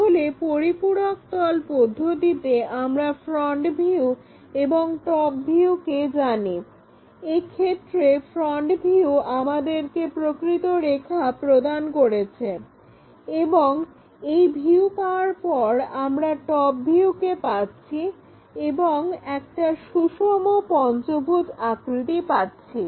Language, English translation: Bengali, So, our auxiliary plane method, when we know the front views and the top views in this case, ah front view is giving us a line with true line and the top view is after ah having this view, we are getting a pentagon of regular shape